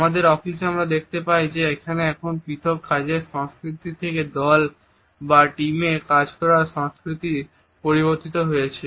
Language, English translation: Bengali, In our offices we also see that now there is a shift from the individual work culture to a culture of group or team work